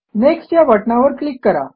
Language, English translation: Marathi, Click on Next button